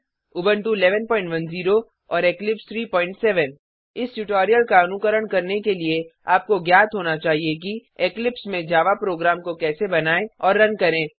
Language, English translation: Hindi, For this tutorial we are using Ubuntu 11.10 and Eclipse 3.7 To follow this tutorial you must know how to create and run a Java Program in Eclipse